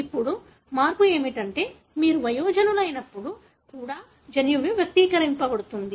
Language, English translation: Telugu, Now, the change is such that, the gene is expressed even when you are an adult